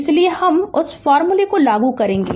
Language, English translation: Hindi, So, we will apply that formula